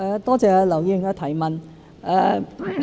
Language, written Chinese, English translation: Cantonese, 多謝劉議員的提問。, I thank Mr LAU for the question